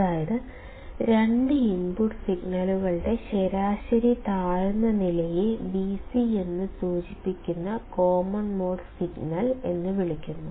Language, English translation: Malayalam, Which is, the average low level of the two input signals and is called as the common mode signal, denoted by Vc